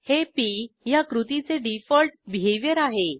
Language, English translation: Marathi, This is the default behaviour of the action p